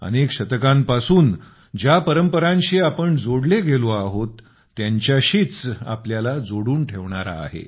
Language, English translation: Marathi, It's one that connects us with our traditions that we have been following for centuries